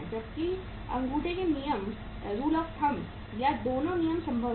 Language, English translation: Hindi, Whereas both the rules of thumb or both the rules are possible